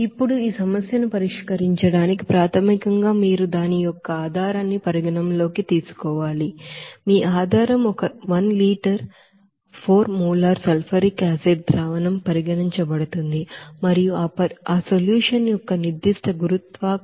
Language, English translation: Telugu, Now to solve this problem basically you have to consider that basis of that, you know problem your basis is one liter of 4 molar sulfuric acid solution is considered and specific gravity of that solution is 1